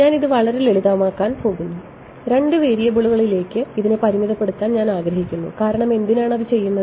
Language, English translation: Malayalam, I am going to make my life really simple I want to restrict myself to two variables because why would you do that